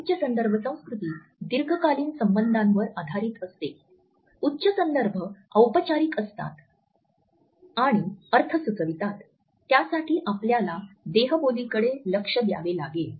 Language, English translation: Marathi, High context culture is based on long term relationships, high context is formal and implies meaning and you have to look for the body language